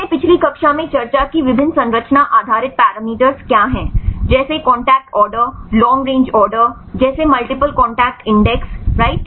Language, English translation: Hindi, What are various structure based parameters we discussed in the last class; like the contact order long range order like the multiple contact index right